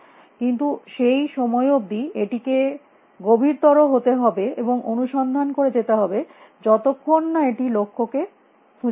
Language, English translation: Bengali, But till that point it should keep deepening and searching till finds a goals